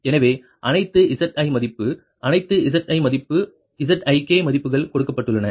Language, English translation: Tamil, so all all zi value, all zi value z ik values are given